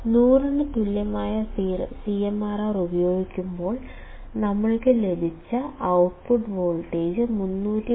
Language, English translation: Malayalam, We will see that when we use CMRR equal to 100; the output voltage that we got was 313